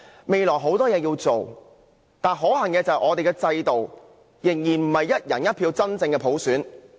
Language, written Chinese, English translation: Cantonese, 未來有很多工作要做，但可恨的是，現時的制度仍然不是基於"一人一票"的真普選。, We have much to do in the future yet regrettably we are yet to have genuine universal suffrage by one person one vote